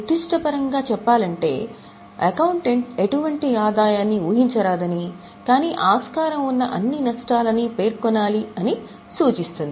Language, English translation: Telugu, To put it in specific terms, it states that accountant should not anticipate any income but shall provide for all possible losses